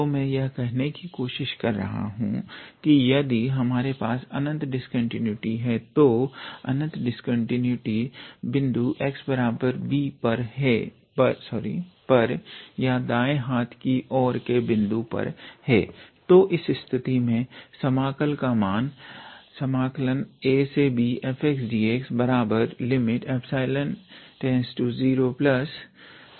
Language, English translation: Hindi, So, what I am trying to say is that if we have infinite discontinuity, so infinite discontinuity at the point x equals to b or the right hand endpoint then in that case the value of the integral a to b f x dx would be equal to limit epsilon goes to 0 plus a to b minus epsilon f x dx